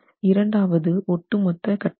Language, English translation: Tamil, The second aspect is overall configuration